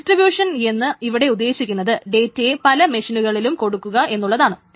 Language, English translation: Malayalam, So the distribution essentially is to say that the data can be distributed across different machines